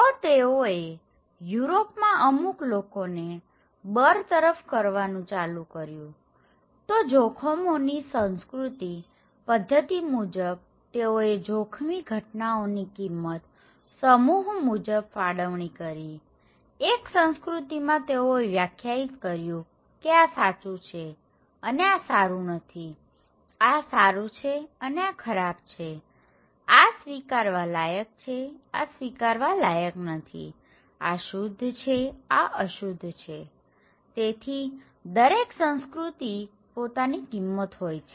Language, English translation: Gujarati, So, they started to evict Jews people in Europe, so according to the cultural theory of risk, the allocation of responsibility of hazard event is normal strategy for protecting a particular set of values, one culture they define that this is right and this is not good, this is bad this is good, this is acceptable, this is unacceptable, this is pure, this is polluted okay, so each culture have their own values